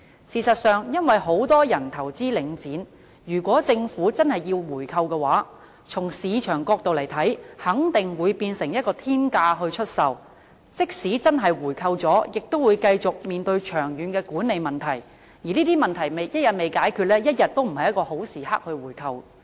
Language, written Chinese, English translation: Cantonese, 事實上，因為很多人投資領展，如果政府真的要進行回購的話，從市場角度來看，肯定會以天價出售，即使真的回購了，亦會繼續面對長遠的管理問題，而這些問題一天未解決，一天都不是回購的好時機。, In fact given the large number of Link REIT investors if the Government really wants to buy it back from the market perspective the selling price will definitely rise sky - high . Even if it is bought back the Government has to continue dealing with long - term management problems . So long as these problems are not solved it is not an opportune time to buy back Link REIT